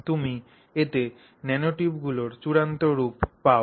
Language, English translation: Bengali, So, you get the nanotube in its final form